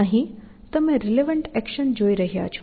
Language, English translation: Gujarati, Here, you are looking at a relevant action